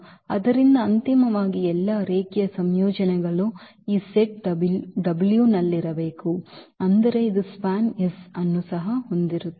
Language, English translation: Kannada, So, eventually all the linear combinations must be there in this set w; that means, this will also have i span S